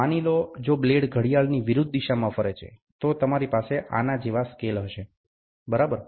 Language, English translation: Gujarati, Suppose, if the blade rotates in anti clockwise direction, then you will have a scale like this, ok